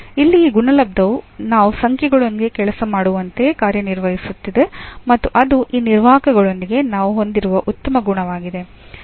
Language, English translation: Kannada, So, here this product is working as the same as we work with the numbers and that is the nice property we have with these operators also